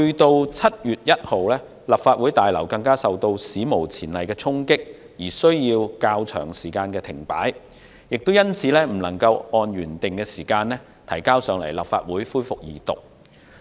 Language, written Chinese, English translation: Cantonese, 到了7月1日，立法會大樓更遭到史無前例的衝擊，被迫停止運作較長一段時間，因此未能按照原定時間把《條例草案》提交立法會恢復二讀。, On 1 July the Legislative Council Complex even sustained unprecedented damage and was forced to suspend operation for quite a long time . For all these reasons the Bill could not be introduced into the Legislative Council for the resumption of its Second Reading as scheduled